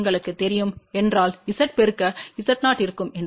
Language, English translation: Tamil, If you know multiplied by Z 0 that will be two Z 0 divided by 2 Z 0 plus Z